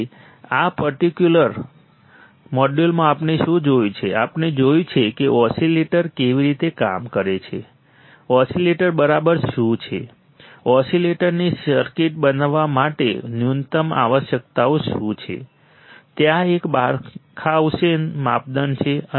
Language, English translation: Gujarati, So, what we have seen guys in this particular module, we have seen how the oscillator works right, what exactly is a oscillator, what are the minimum requirements for a circuit two become an oscillator there is a Barkhausen criterion